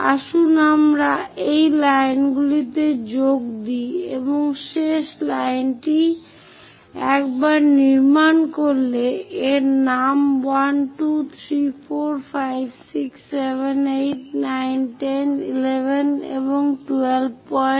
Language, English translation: Bengali, Let us join these lines and the last line this once constructed name it 1, 2, 3, 4, 5, 6, 7, 8, 9, 10, 11 and 12 points